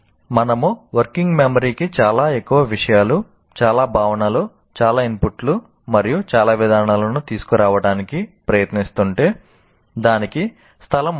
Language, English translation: Telugu, If we are tried to bring too many things, too many concepts, too many inputs, and too many procedures to the working memory, it won't have space